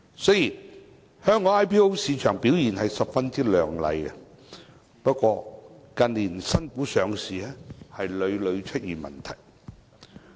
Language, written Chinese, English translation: Cantonese, 雖然香港 IPO 市場的表現十分亮麗，不過，近年新股上市屢屢出現問題。, Despite the brilliant performance of the Hong Kong IPO market there are problems with IPOs in the recent years